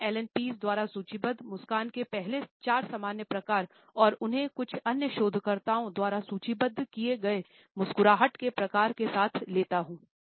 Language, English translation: Hindi, I would take up the first 4 common types of a smiles listed by Allan Pease and supplement them with some other commonly found types of a smiles which I have been listed by other researchers